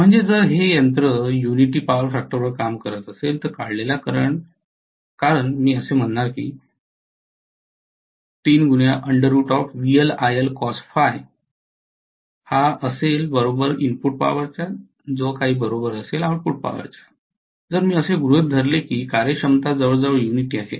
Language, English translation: Marathi, So if the machine is working at unity power factor, the current drawn because I am going to say that root 3 VL IL Cos Phi, if I assume that the efficiency is almost unity